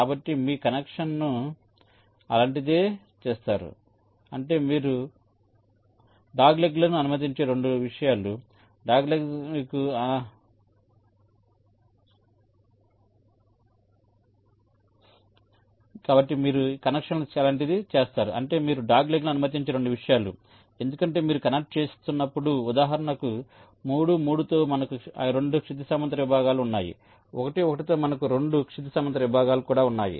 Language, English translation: Telugu, so you make the connection something like this, which means two things: that you are allowing doglegs because that when you are connecting, say for example, three with three, we have two horizontal segments, one with one, we have also two horizontal segments